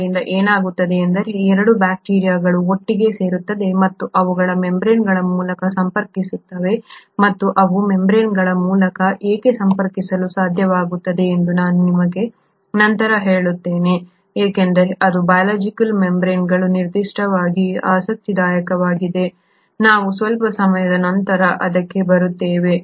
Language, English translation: Kannada, So what happens is the 2 bacterias come together and connect through their membranes and I will tell you later why they are able to connect through membranes because that is the specific property of biological membranes, we will come to it a little later